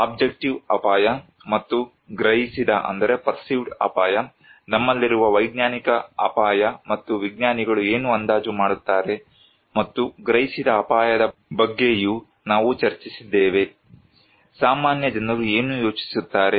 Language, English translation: Kannada, We also discussed about objective risk and the perceived risk, scientific risk we have and what scientists estimate and the perceived risk; what laypeople think about